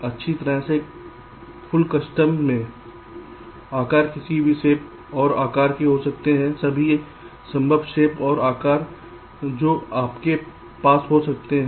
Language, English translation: Hindi, well, in the full custom size, the blocks can be of any shapes and sizes, all possible shapes and sizes you can have, so you can have something like this also